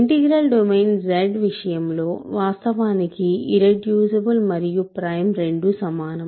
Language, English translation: Telugu, In the case of the integral domain Z, these are actually same irreducibility is equivalent to primality